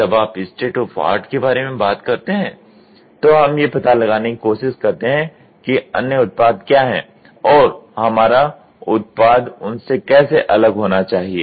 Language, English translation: Hindi, When you talk about state of art, what are the other products existing and how should our product be different from them